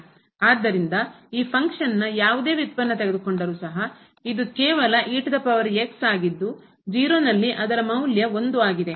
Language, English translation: Kannada, So, whatever derivative we take for this function exponential it is just the exponential and at 0 we have the value 1